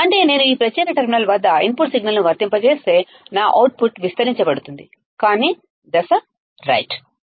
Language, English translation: Telugu, That means, if I apply an input signal at this particular terminal right my output will be amplified, but in phase right